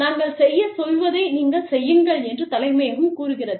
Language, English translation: Tamil, Then, headquarters say, you just do, what we tell you to do